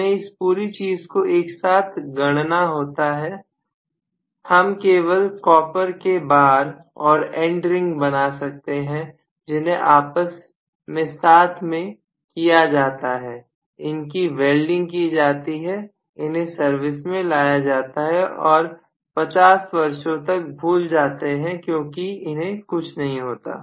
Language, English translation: Hindi, I just mold the whole thing, I can just make copper bars, I can just make the end ring put everything together, weld it together whatever, put it in service forget about it for 50 years, nothing will happen